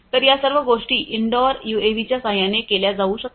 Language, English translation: Marathi, So, all of these things can be done in with the help of indoor UAVs